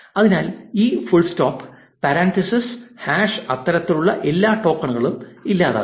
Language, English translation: Malayalam, So, this will eliminate full stops, parenthesis, hash and all those kinds of tokens